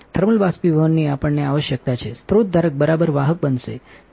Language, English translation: Gujarati, In thermal evaporation we require, the source holder to be conductive all right